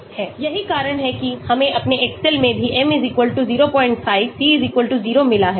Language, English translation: Hindi, That is what we got in our excel also m=0